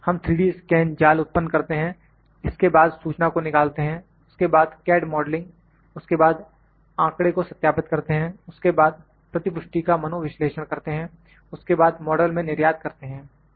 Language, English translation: Hindi, We create 3D scan mesh, then extract the information, then CAD modeling, then verify the data, then analyzing the feedback, then exporting to the model